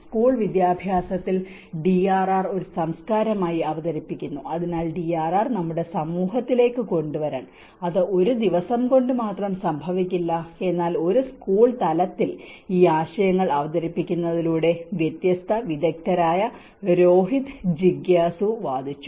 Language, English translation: Malayalam, Introducing DRR as a culture at school education, so in order to bring the DRR into our society, it cannot just happen in only one day, but by introducing these concepts at a school level, this has been advocated by different experts Rohit Jigyasu